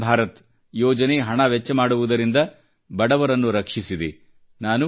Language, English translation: Kannada, The 'Ayushman Bharat' scheme has saved spending this huge amount of money belonging to the poor